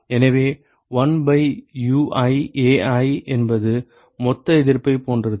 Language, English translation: Tamil, So, 1 by Ui Ai is something like a a total resistance